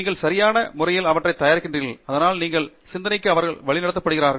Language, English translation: Tamil, You are preparing them appropriately so that they are directed into your line of thought